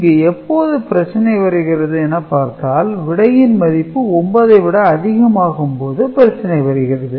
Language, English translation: Tamil, So, these are the cases when we are having issues, when the number is going more than I mean results becoming more than 9